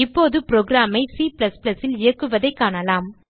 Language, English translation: Tamil, Now we will see how to execute the programs in C++